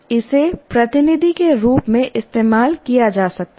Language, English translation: Hindi, It can be used as a proxy